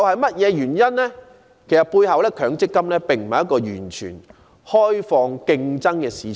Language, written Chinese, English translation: Cantonese, 其實，強積金並非一個完全開放競爭的市場。, In fact MPF is not a totally open and competitive market